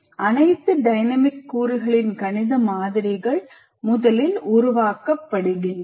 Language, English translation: Tamil, And mathematical models of all the dynamic elements are developed first